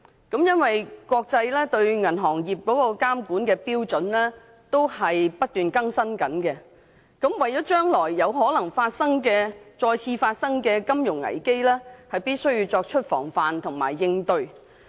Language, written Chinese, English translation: Cantonese, 由於國際間對銀行業監管的標準不斷更新，考慮到將來有可能再次發生金融危機，故必須作出防範和應對。, Given the continuous updating of international regulatory standards for the banking industry and taking into consideration the possible onset of a financial crisis in the future it is necessary to take preventive and contingency measures